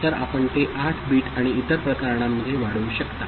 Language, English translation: Marathi, So, you can extend it for 8 bit and other cases